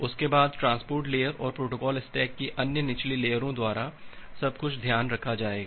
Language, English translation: Hindi, After that, everything will be taken care of by the transport layer and other lower layers of the protocol stack